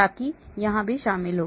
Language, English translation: Hindi, so that is also included here